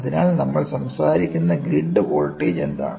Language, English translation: Malayalam, So, what is the grid voltage we are talking about